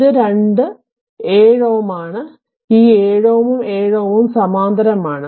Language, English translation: Malayalam, This is your 7 ohm and this 7 ohm 7 ohm are in parallel